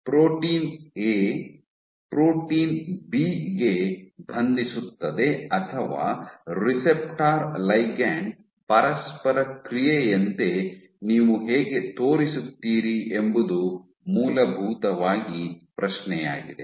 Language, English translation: Kannada, Essentially the question is how do you show that a protein A binds to protein B, or like a receptor ligand interaction